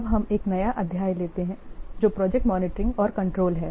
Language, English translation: Hindi, Now let's take up for a new chapter that is project monitoring and control